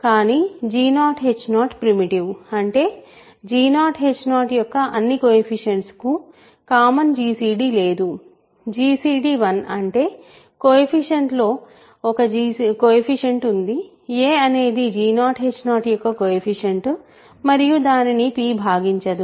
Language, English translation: Telugu, But g 0 h 0 is primitive; that means, there is no common gcd of all the coefficients of g 0 h 0 is 1; that means, there exists a one of the coefficients; a is a coefficient of g 0 h 0 such that p does not divide